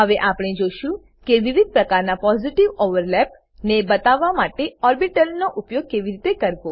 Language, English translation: Gujarati, Let us see how to use orbitals to show different types of Positive overlaps